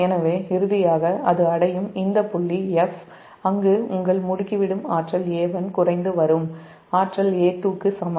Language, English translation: Tamil, so finally it will, it will reach to this point f, where your accelerating energy a one is equal to decelerating energy a two